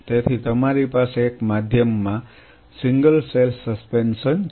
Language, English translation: Gujarati, So, you have a single cell suspension in a medium